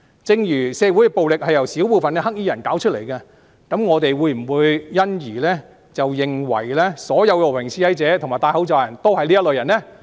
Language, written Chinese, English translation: Cantonese, 正如社會暴力由少部分"黑衣人"造成，我們會否因而認為所有和平示威者及戴口罩的人都是這類人呢？, As in the case of violence in society which is caused by the black clad accounting for a minority in society will we consider that all peaceful protesters and people wearing masks belong to their group?